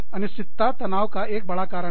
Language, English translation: Hindi, Uncertainty is a big, big, big reason for stress